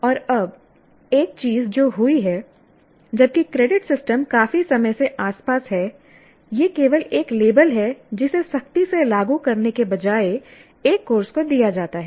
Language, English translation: Hindi, And now one thing that has happened as we notice that while the credit system has been around for quite some time, but it is only a kind of a label that is given to a course rather than strictly implemented